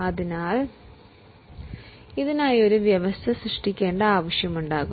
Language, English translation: Malayalam, So, there will be a need to create a provision for this